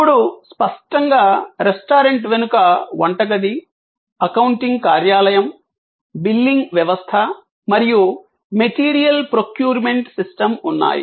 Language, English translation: Telugu, Now; obviously, the restaurant has at the back, the kitchen, it is accounting office, it is billing system and it is material procurement system